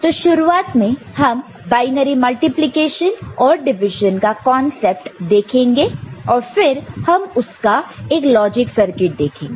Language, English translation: Hindi, So, in the beginning we shall look at the concept of binary multiplication, and division and then we shall look at the a one such circuit logic circuit ok